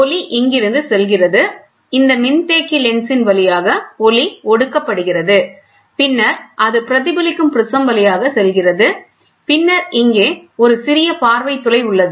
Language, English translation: Tamil, The light goes from here, the light gets condensed through this condensing lens, then it passes through a reflecting prism, then you have a small aperture viewing aperture is there